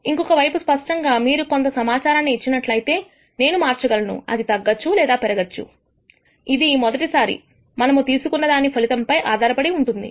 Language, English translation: Telugu, On the other hand clearly, if you give me some information I am able to change the probably either decreases or increases depending on what was the outcome of the first pick